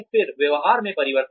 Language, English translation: Hindi, Then, change in behavior